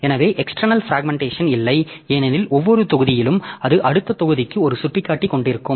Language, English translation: Tamil, So, there is no external fragmentation because every block so it will contain a pointer to the next block